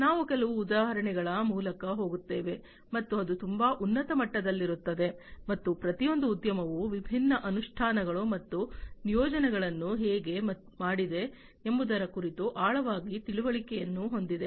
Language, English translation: Kannada, We will go through some of the examples, and that will be at a very high level and each industry has its own in depth understanding about how it has done the different implementations and deployments and so on